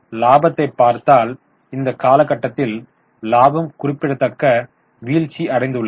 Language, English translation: Tamil, If you look at the profit, now there is a significant fall in the profit over the period of time